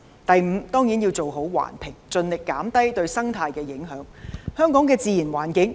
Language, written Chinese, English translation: Cantonese, 第五，當然要做好環評，盡力減低對生態環境的影響。, The fifth is certainly to do a proper environmental impact assessment to minimize the impact on the ecological environment